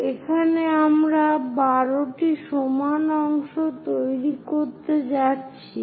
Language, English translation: Bengali, Here we are going to make 12 parts